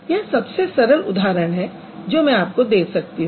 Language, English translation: Hindi, So, this is the simplest example that I can give